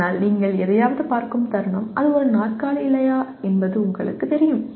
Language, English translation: Tamil, But the moment you look at something you know whether it is a chair or not